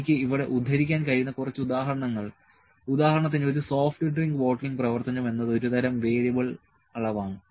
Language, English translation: Malayalam, A few examples that I could quote here is that for instance, a soft drink bottling operation is a kind of a variable measure